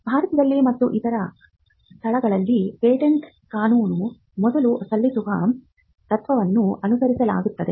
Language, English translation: Kannada, The patent law in India and in other places follows the first file, it does not follow the first to invent principles